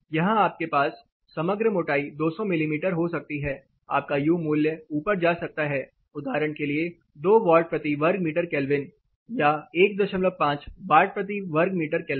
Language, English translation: Hindi, Here you may have overall thickness might be say 200 mm, your U value could go up to say for example 2 watts per meter square Kelvin or say let us say 1